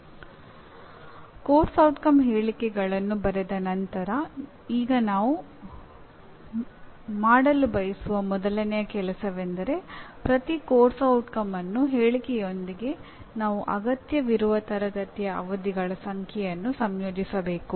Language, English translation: Kannada, Now having written the course outcome statements, now what we would like to do is, first thing is with each course outcome statement we would like to associate the number of classroom sessions that are likely to be required